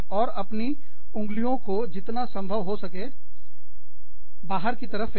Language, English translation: Hindi, And, throw your fingers out, as much as possible